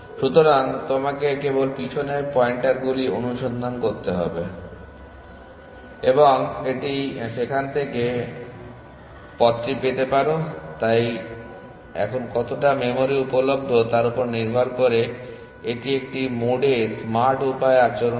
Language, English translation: Bengali, So, you just have to follow the back pointers and you can just get the path from there, so depending on the how much memory available this behaves in a mode smart way essentially now